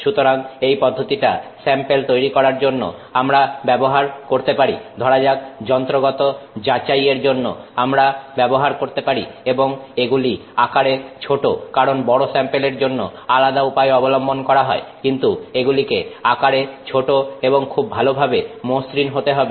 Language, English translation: Bengali, So, that is a process we can use for creating, you know, samples that we can use for say mechanical testing and which are small in size because bigger samples can be machine in some other way but which are small in size and are very well finished